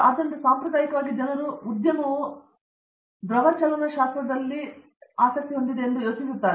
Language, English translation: Kannada, So, in the traditionally people are thinking that industry might take who are doing well in fluid dynamics